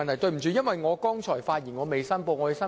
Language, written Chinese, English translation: Cantonese, 抱歉，我剛才發言時未有作出申報。, I am sorry . I had not declared interest when I spoke just now